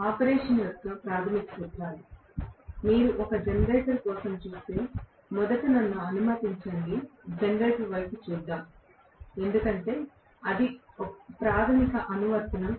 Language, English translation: Telugu, The basic principles of operation, if you look at for a generator, let me first of all, look at the generator because that is the primary application